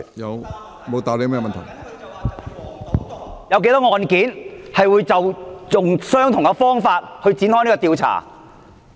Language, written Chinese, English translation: Cantonese, 我問他有多少"黃、賭、毒"案件是採用相同的方法去展開調查？, I asked him how many cases associated with vice gambling and narcotics are investigated with the same approach?